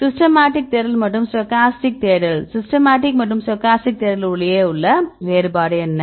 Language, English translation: Tamil, Systematic search and the stochastic search, what are difference between systematic and stochastic search